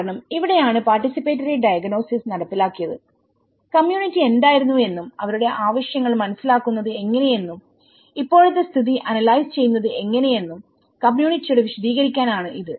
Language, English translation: Malayalam, Because this is where the participatory diagnosis have been implemented to describe the community what the community was and how they are learn about their needs and analysing the current community situations